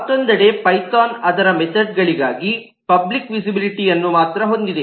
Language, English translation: Kannada, Python, on the other hand, has only eh public visibility for its methods